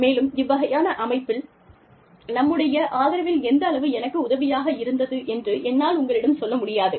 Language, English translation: Tamil, And, i cannot tell you, how much of our support, this kind of a setup, has been for me